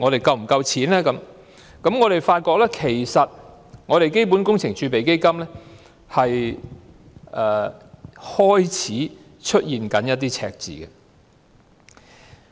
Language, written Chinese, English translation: Cantonese, 自回歸至今，我們發現基本工程儲備基金開始出現赤字。, We found that CWRF has started to record a deficit ever since the reunification